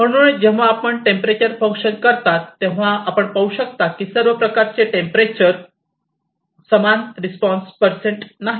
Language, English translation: Marathi, So, when you do as a function of temperature, then as you can see that not at all temperature it as similar kind of response percent